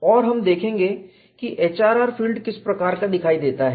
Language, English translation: Hindi, And we would see how the HRR field looks like